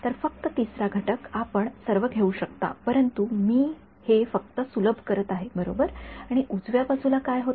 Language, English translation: Marathi, So, only 3rd component you can take all, but I am just simplifying it right now and what happens to the right hand side